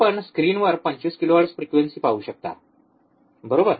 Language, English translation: Marathi, You can see in the screen 25 kilohertz, correct